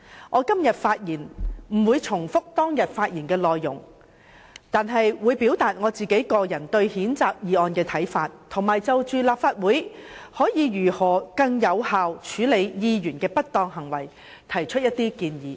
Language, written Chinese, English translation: Cantonese, 我今天不會重複當天發言的內容，但會表達我個人對譴責議案的看法，並會就着立法會可以如何更有效處理議員的不當行為提出一些建議。, I will not repeat contents of my speech on that day here but I will express my personal views on the censure motion and make suggestions on how best the Legislative Council can handle Members misconduct more effectively